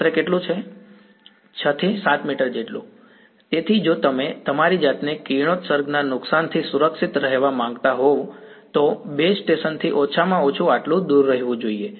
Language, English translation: Gujarati, Some 6 7 meters; so, if you want to be safe from radiation damage to yourselves should be at least this distance away from a base station